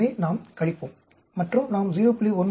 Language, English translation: Tamil, So, we subtract and we end up with 0